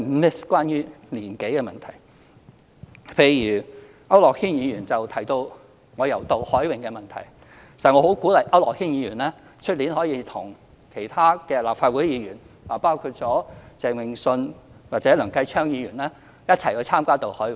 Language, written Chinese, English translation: Cantonese, 譬如區諾軒議員提到我參與渡海泳，實際上我很鼓勵區諾軒議員明年與其他立法會議員，包括鄭泳舜議員或梁繼昌議員，一起參加渡海泳。, For instance Mr AU Nok - hin mentioned my participation in the cross - harbour swimming event . In fact I encourage Mr AU Nok - hin to join the cross - harbour swimming event next year with other Members of the Legislative Council including Mr Vincent CHENG and Mr Kenneth LEUNG